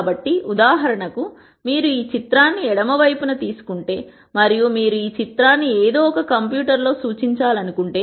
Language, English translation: Telugu, So, for example, if you take this picture here on this left hand side and you want to represent this picture somehow in a computer